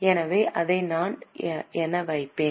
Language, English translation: Tamil, So, we will put it as E